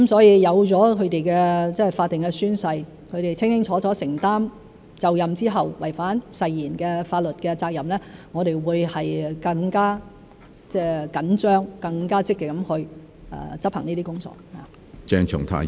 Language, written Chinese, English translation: Cantonese, 有了他們的法定宣誓，他們清清楚楚地承擔就任後違反誓言的法律責任，我們會更加緊張、更加積極地去執行這些工作。, With the statutory oaths DC members will unequivocally be legally liable should they violate such oaths after assuming office . We will carry out work in this aspect more rigorously and proactively